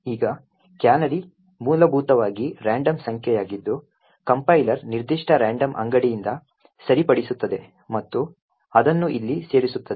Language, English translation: Kannada, Now a canary is essentially a random number which the compiler fix from a particular random store and inserts it over here